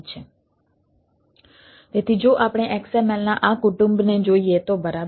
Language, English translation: Gujarati, so if we look at this family of xml, all right